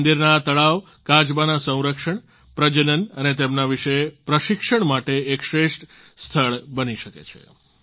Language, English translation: Gujarati, The ponds of theses temples can become excellent sites for their conservation and breeding and training about them